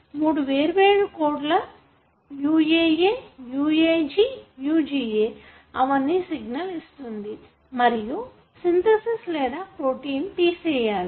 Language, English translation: Telugu, I have three different codes, UAA, UAG, UGA, all three gives the signal that the peptide synthesis or protein should terminate here